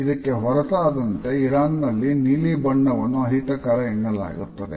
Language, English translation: Kannada, Iran is an exception where blue is considered as an undesirable color